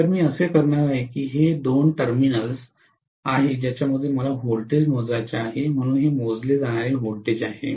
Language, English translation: Marathi, So what I am going to do is, let us say these are the two terminals across which I have to measure the voltage, so this is the V to V measured